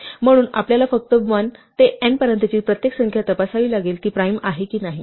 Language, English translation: Marathi, So, we have to just check for every number from 1 to n, whether or not it is a prime